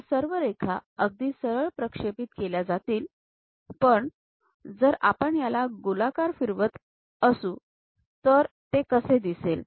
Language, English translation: Marathi, These lines will be projected straight away; but if we are revolving it, how it looks like